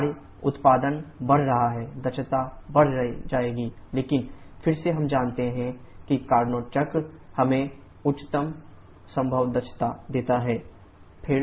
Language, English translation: Hindi, But what about the efficiency work output is increasing efficiency will increase but again we know that Carnot cycle gives us the highest possible efficiency